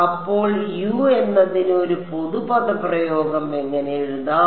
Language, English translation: Malayalam, So, how do I in write a general expression for U